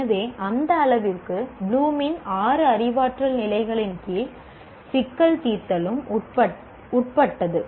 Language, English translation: Tamil, So to that extent, problem solving is also subsumed under the six cognitive levels of bloom